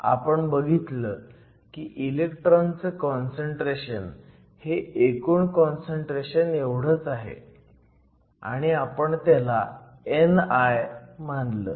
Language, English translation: Marathi, We saw that the electron concentration is the same as whole concentration and we called it n i